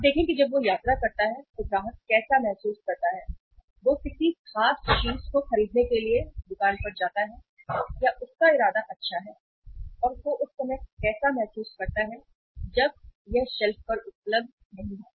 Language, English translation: Hindi, Now see how the customer feels when he visits, he or she visits the store for buying a particular thing or buying intended good and that is not available on the shelf how they feel at that time